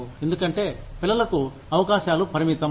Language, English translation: Telugu, Because, the prospects for children, are limited